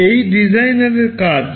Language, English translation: Bengali, This is the task of the designer